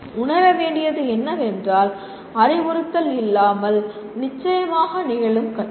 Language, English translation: Tamil, And what should be realized is learning can certainly occur without instruction